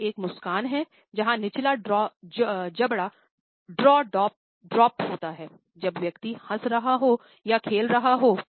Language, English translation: Hindi, This is a practice smile where a lower jaw is simply dropdown to give a impression when the person is laughing or play full